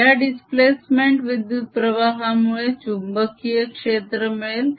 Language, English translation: Marathi, because of this displacement current there's going to be field